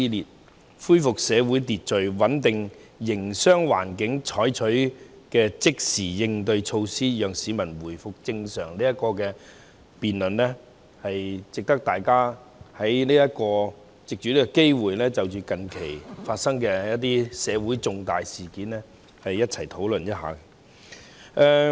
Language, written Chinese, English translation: Cantonese, 政府對盡快恢復社會秩序、穩定營商環境採取的即時應對措施，讓市民回復正常生活"，值得大家藉此機會就近期社會發生的重大事件進行討論。, It is worthy to take this opportunity to hold a discussion on major events that happened in society recently . I think Mr Christopher CHEUNGs adjournment motion is well - intentioned